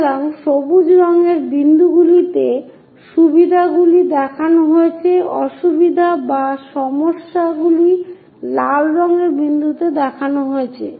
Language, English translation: Bengali, So, the advantages are shown in green colour dots, the disadvantages or problems are shown in red colour dots